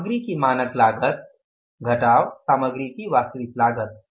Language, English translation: Hindi, Standard cost of material